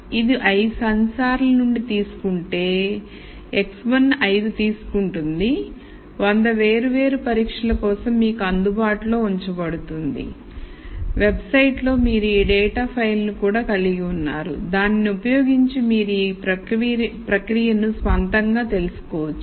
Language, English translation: Telugu, So, it says reading from five sensors, x one takes five, are made available to you for 100 different tests and in the website we also have this file of data which you can use to go through this process on your own the readings are not arranged according to any order